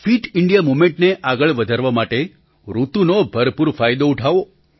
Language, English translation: Gujarati, Use the weather to your advantage to take the 'Fit India Movement 'forward